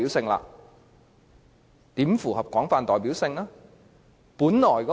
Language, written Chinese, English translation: Cantonese, 可是，它如何符合廣泛代表性呢？, But what is the requirement of broadly representative?